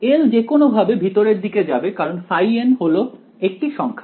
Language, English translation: Bengali, L anyway will go inside because phi n is a number